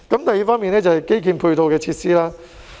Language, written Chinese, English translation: Cantonese, 第二是基建的配套設施。, Another point is about the infrastructure support facilities